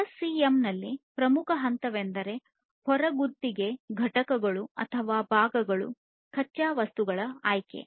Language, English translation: Kannada, So, the most important stage in SCM is the selection for outsourcing components or parts of raw material